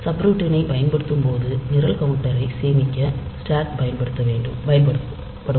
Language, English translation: Tamil, So, when using subroutines, the stack will be used to store the program counter